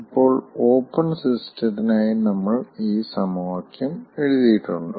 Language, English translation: Malayalam, now also, we have written this equation for open system